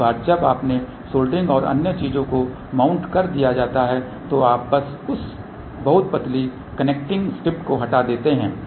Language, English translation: Hindi, Once you have done the soldering and other thing mounted then you just remove that very thin connecting strip